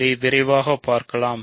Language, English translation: Tamil, So, let us quickly check this